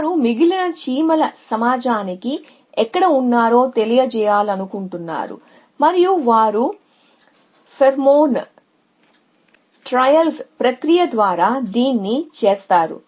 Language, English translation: Telugu, They want to convey were they having being to the less of the ant community and they do this by a process of pheromone trails